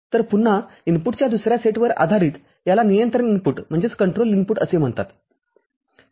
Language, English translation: Marathi, So, based on again another set of input this is called control input